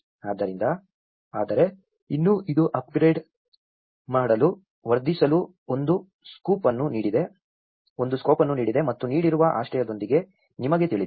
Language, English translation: Kannada, So, but, still, it has given a scope to enhance to upgrade and you know, with the given shelter